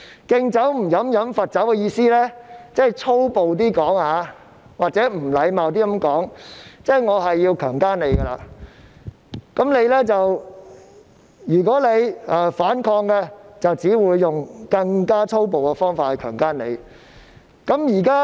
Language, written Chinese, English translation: Cantonese, "敬酒不喝喝罰酒"的意思，如果說得較粗暴或不禮貌一點，即是指"我要強姦你，如果你反抗，我只會用更粗暴的方法強姦你"。, What does it mean to refuse a toast only to be forced to drink a forfeit? . To put it in a more vulgar or impolite way it is to say I have to rape you and if you refuse I will use a more violent way to rape you